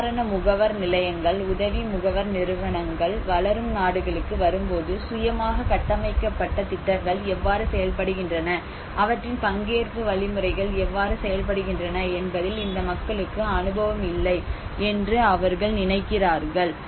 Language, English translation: Tamil, So this is a kind of belief system that when the relief agencies, aid agencies come to the developing countries, they think that these people does not have an experience how the self built programs work how their participatory mechanisms work that is the blind belief